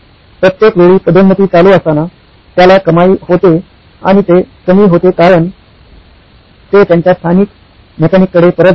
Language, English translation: Marathi, Every time a promotion runs, he has revenue and it just dwindles out because they go back to their local mechanic